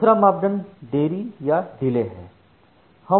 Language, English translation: Hindi, The second parameter is the delay